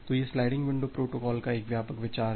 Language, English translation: Hindi, So, this is the broad idea of the sliding window protocol